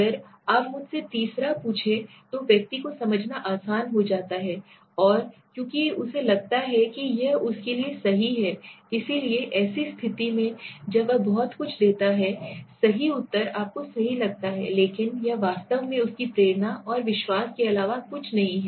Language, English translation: Hindi, If you ask me the third person kind then what happens is the person it becomes easier for the person to explain and because he does not feel that it is for him right, so in such a condition when he gives a very correct reply to you right but that is actually nothing but his own motivation and believes